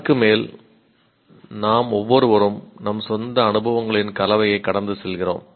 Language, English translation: Tamil, On top of that, each one of us goes through our own combination of experiences